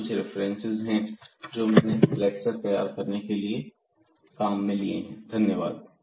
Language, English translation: Hindi, So, these are the references used for preparing the lectures